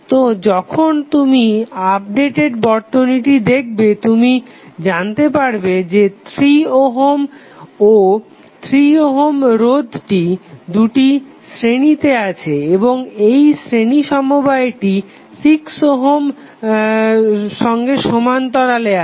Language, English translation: Bengali, So, when you see this updated circuit you will come to know that 3 ohm 3 ohm are in series and the series combination of these 3 ohms is in parallel with 6 ohm